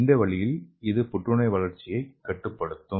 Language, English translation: Tamil, So in this way it is suppressing the cancer growth